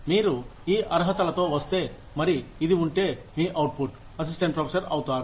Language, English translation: Telugu, If you come with these qualifications, and if this is your output, you are going to be assistant professor